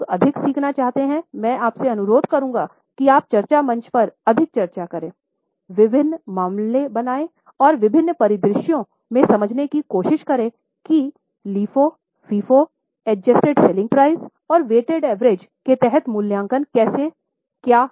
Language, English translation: Hindi, Those who want to learn more, I would request you to discuss more on discussion forum, create different cases and try to understand in different scenarios what are the valuations of FIFO, under LIFO, under weighted average and under adjusted selling price so that we realize as to what method is suitable